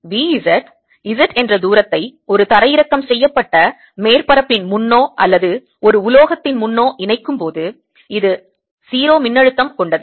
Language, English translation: Tamil, so v, z, add a distance, z, in front of a grounded surface or in front of a metal which has, at which is at zero potential